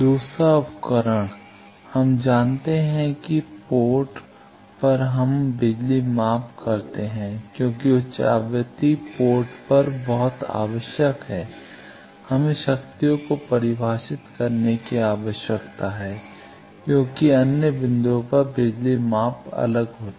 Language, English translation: Hindi, The second tool, we know that at ports we do power measurement because at high frequency is very much necessary that exactly at ports, we need to define powers because at other points the power measurement will be different